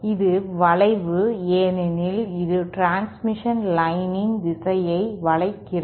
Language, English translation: Tamil, It is bend because it sort of bends the direction of the transmission line